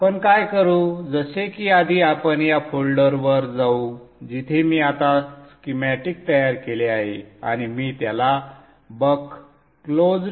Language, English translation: Marathi, So what we will do like before we will go to this folder where I have now created the schematic and I'm naming it as a buck close